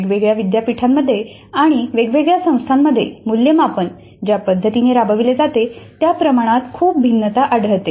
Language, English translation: Marathi, We have a very large amount of variation in the way the assessment is implemented in different universities, different institutions